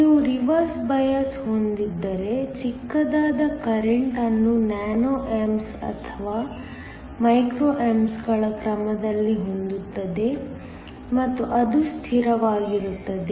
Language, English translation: Kannada, Where if you have a Reverse bias, we have a really small current here is of the order of nano amps or micro amps and that is really a constant